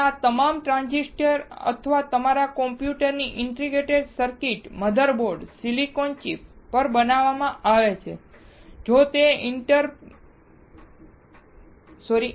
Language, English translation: Gujarati, And all these transistors and integrated circuits in our computers, motherboards are made on silicon chip